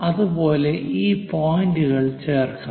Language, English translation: Malayalam, And similarly, join these points